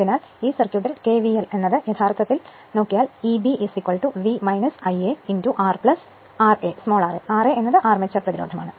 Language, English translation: Malayalam, So, if you apply in this circuit kvl you will get E b is equal to V minus I a into R plus r a, r a is the armature resistance right